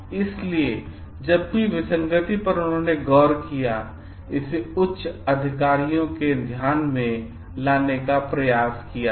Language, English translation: Hindi, So, any discrepancy that he noticed, he reported it to the like higher authorities to take care of